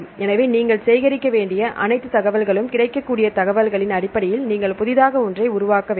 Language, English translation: Tamil, So, all the information you have to collect and based on the available information you have to develop a new one